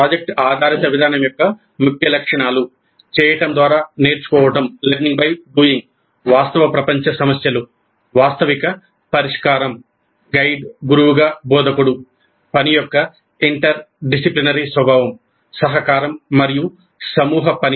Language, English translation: Telugu, The key features of project based approach, learning by doing, real world problems, realistic solution, instructor as a guide or a mentor, interdisciplinary nature of the work, collaboration and group work